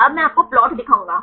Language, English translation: Hindi, Now, I will show you the plot